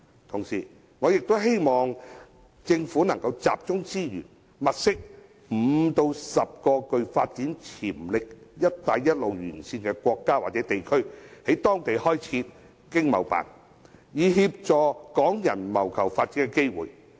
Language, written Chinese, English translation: Cantonese, 同時，我亦希望政府集中資源，物色5個至10個具發展潛力的"一帶一路"沿線國家或地區，在當地開設香港經濟貿易辦事處，以協助港人謀求發展機會。, At the same time I also hope the Government will focus on identifying 5 to 10 countries or places along the Belt and Road to set up Hong Kong Economic and Trade Offices ETOs there to help Hong Kong people seek development opportunities